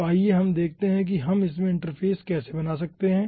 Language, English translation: Hindi, so, ah, let us see now how we can constructing interface in that